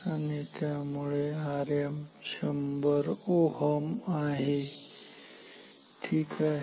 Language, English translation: Marathi, And therefore, now R m is 100 ohm ok